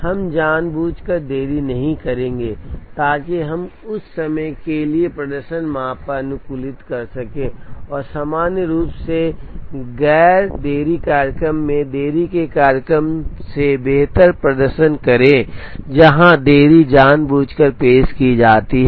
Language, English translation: Hindi, We will not deliberately create a delay, so that we can optimize on the performance measure for that, and in general non delay schedules perform better than delay schedules where delays are intentionally introduced